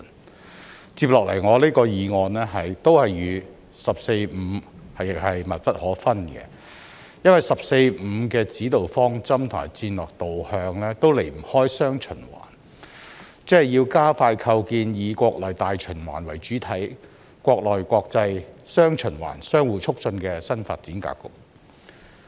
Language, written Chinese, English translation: Cantonese, 我接下來的議案亦與"十四五"密不可分，因為"十四五"的指導方針和戰略導向都離不開"雙循環"，即是要加快構建以國內大循環為主體、國內國際"雙循環"相互促進的新發展格局。, My following motion also has an inextricable connection with the 14th Five - Year Plan because the guiding principles and strategic directions of the 14th Five - Year Plan are essentially about dual circulation ie . accelerating the establishment of a new development pattern featuring domestic and international dual circulation which takes the domestic market as the mainstay while enabling domestic and foreign markets to interact positively with each other